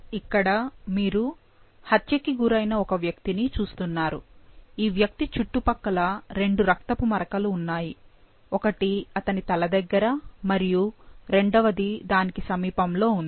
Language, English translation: Telugu, So, here you see an individual who has been murdered and there are two blood spots as indicated in the surrounding, one near his head and one in the close proximity